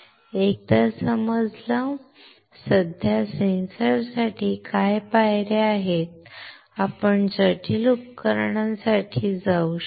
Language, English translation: Marathi, Once you understand; what are the steps for a simple sensor, you can go for complex devices